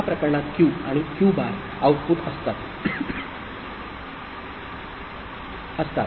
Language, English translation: Marathi, In one case Q and Q bar are output – inside